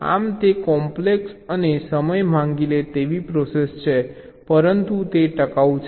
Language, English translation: Gujarati, so it is, ah, complex and time consuming process, but it is durable, all right